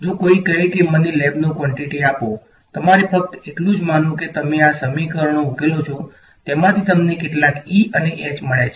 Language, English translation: Gujarati, If I if someone says ok, now give me the lab quantity all you have to do is supposing you solve these equations you got some E and H out of it